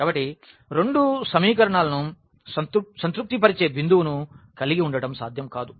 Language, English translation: Telugu, So, this is not possible to have a point which satisfy both the equations